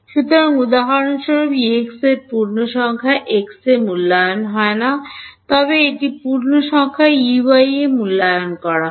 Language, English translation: Bengali, So, E x for example, is not evaluated at integer x is, but it is evaluated at integer y